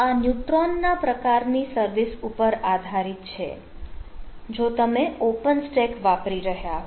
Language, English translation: Gujarati, so it is it based on this ah neutron type of services if you are using open stack